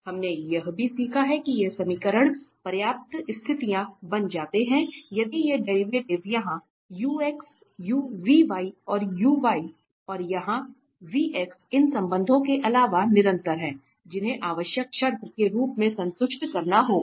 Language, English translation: Hindi, We have also learned that these equations become sufficient conditions if these derivatives here ux, vy, ux and here this vx if they are continuous in addition to these relations, which has to be satisfied as a necessary condition